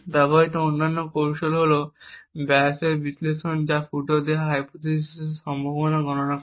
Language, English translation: Bengali, Other techniques used are the Bayes analysis which computes the probability of the hypothesis given the leakage